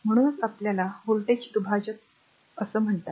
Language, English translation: Marathi, So, that is why it is called your voltage divider